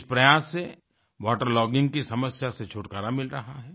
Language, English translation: Hindi, This effort would rid of the problem of water logging